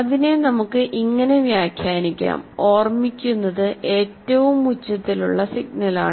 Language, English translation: Malayalam, Now that can be interpreted as what gets remembered is the loudest signal